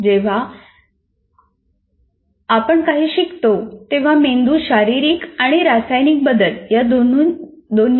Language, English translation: Marathi, And whenever you learn something, the brain goes through both physical and chemical changes each time it learns